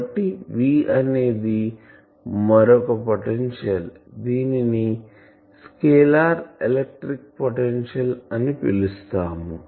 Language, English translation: Telugu, So, this V is a scalar this is another potential function so this one is called scalar electric potential